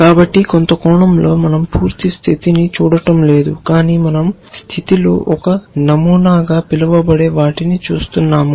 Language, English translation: Telugu, So, in some sense we are not looking at the complete state, but we are looking at what we call as a pattern in the state